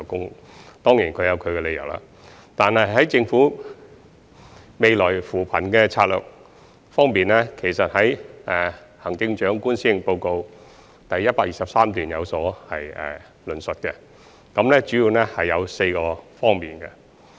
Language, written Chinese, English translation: Cantonese, 他們當然有其本身的理由，但在政府的未來扶貧策略方面，行政長官已在施政報告第123段有所論述，主要可分為4個方面。, They must have their own reasons for not doing so but as the Chief Executive has elaborated in paragraph 123 of the Policy Address this year the Governments poverty alleviation strategies will focus on four areas in future